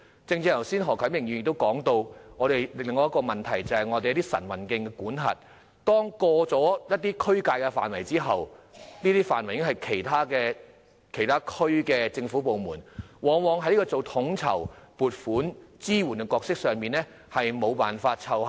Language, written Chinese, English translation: Cantonese, 剛才何啟明議員提及的另一個問題是關於晨運徑的管轄，當越過一個地區的界線後，那範圍便屬於其他地區的政府部門管轄，因此，區議會往往在統籌、撥款及支援的角色上無法奏效。, Just now Mr HO Kai - ming mentioned another issue concerning the management of morning walk trails . When a trail runs into the boundary of another district that area will fall under the management of the government department in that district . Hence DCs are often unable to play their role effectively in coordination allocation of funds and support